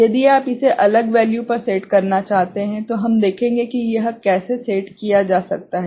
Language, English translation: Hindi, If you want to set it to a different value, we shall see, how it can be set